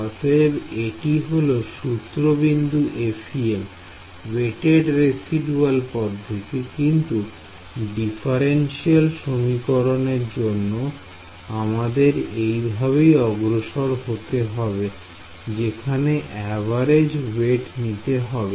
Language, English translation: Bengali, So, this is the starting point for the FEM weighted residual method by the way any differential equation this is the approach you will do from the residual in force in the average weighted sense